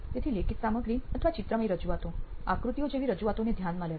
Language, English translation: Gujarati, So noting down either written content or graphical representations, representations like diagrams